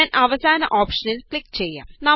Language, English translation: Malayalam, I will click on the last option